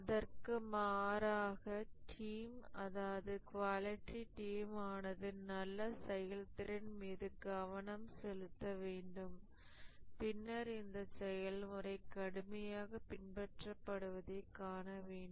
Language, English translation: Tamil, Rather, the quality team needs to concentrate on having a good process and then seeing that the process is followed rigorously